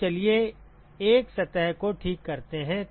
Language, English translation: Hindi, So, let us take out 1 surface ok